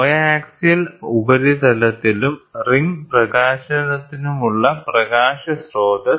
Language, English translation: Malayalam, So, light source for coaxial surface and ring illumination